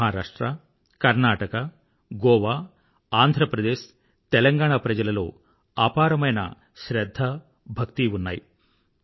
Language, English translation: Telugu, People from Maharashtra, Karnataka, Goa, Andhra Pradesh, Telengana have deep devotion and respect for Vitthal